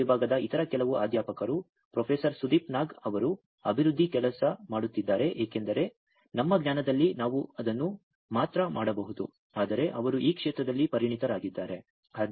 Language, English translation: Kannada, Some other faculty members from Electronic Department Professor Sudip Nag is working on the development because in our knowledge we could only do it, but he is expert in this field